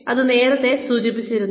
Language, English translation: Malayalam, And, I have mentioned this earlier also